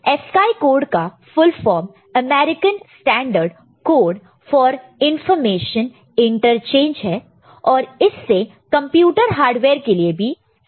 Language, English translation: Hindi, And ASCII code the full form of it is American Standard Code for Information Interchange, right and this has been standardized for computer hardware, ok